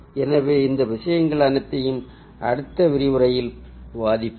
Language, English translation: Tamil, so we will discuss all these things in our next lecture